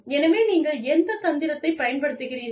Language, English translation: Tamil, So, which tactic, do you use